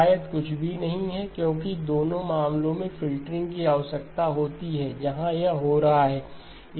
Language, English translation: Hindi, There is probably nothing, because in both cases the filtering needs to happen where it is happening